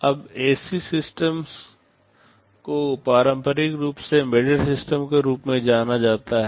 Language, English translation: Hindi, Now, such systems are traditionally referred to as embedded systems